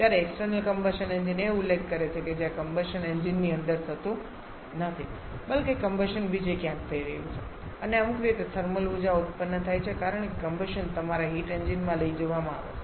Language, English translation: Gujarati, Whereas external combustion engine refers to where the combustion is not taking place inside the engine rather combustion is taking place somewhere else and by some means the thermal energy generated because the combustion is taken to your heat engine